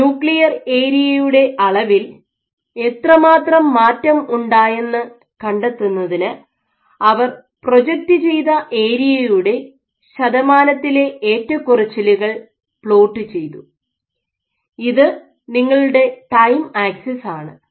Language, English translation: Malayalam, So, to quantitatively detect how much does the nuclear area change what they did was they plotted the percentage fluctuation in the area the projected area and so this is your time axis